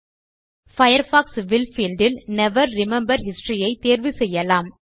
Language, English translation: Tamil, In the Firefox will field, choose Never remember history